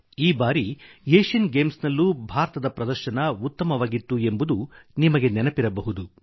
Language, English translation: Kannada, You may recall that even, in the recent Asian Games, India's performance was par excellence